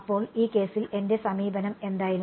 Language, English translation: Malayalam, So, what was my approach in this case